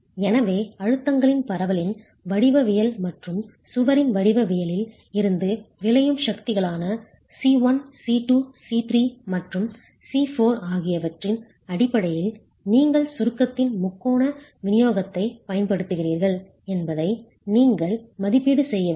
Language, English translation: Tamil, So you need to be able to make an estimate from the geometry of the distribution of stresses and the geometry of the wall what the resultant forces C1, C2, C3 and C4 are for which you basically making use of the triangular distribution of compressive stresses in the wall